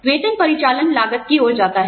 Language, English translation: Hindi, Salary goes towards, the operational cost